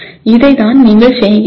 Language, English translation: Tamil, This is what you are doing